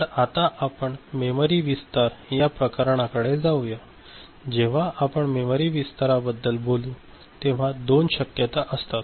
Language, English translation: Marathi, So, we now move to this memory expansion and when we talk about memory expansion there are two possibilities